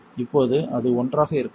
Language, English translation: Tamil, Now it is doing may be one